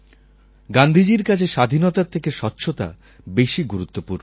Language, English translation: Bengali, Cleanliness was more important for Gandhi than freedom